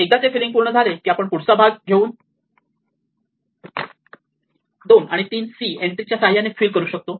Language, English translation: Marathi, Now, once we have this we can fill up this part right and then again we can have two and three c entries we can fill up this